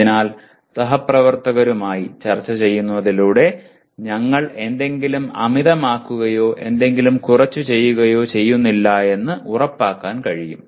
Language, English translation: Malayalam, So by discussing with peers we can make sure that we are not overdoing something or underdoing something